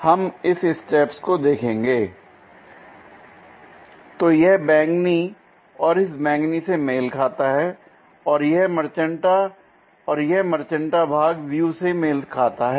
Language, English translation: Hindi, So, this purple one and this purple one matches and this magenta and this magenta portion matches the view